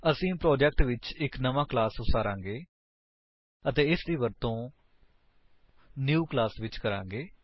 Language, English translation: Punjabi, We shall create a new class in the project and use it